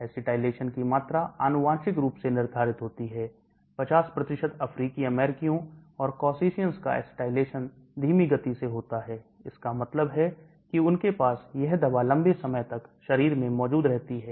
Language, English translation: Hindi, The rate of acetylation is genetically determined, 50% of African Americans and Caucasians are slow acetylaters, that means they have this drug present in the body for a much longer period of time